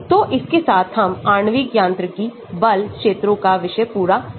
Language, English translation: Hindi, So, with that we complete the topic of molecular mechanics force fields